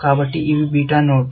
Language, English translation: Telugu, So, these are beta nodes